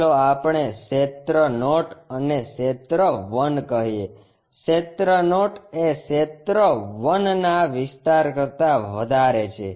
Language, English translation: Gujarati, Let us call area naught and area 1, area naught is greater than area 1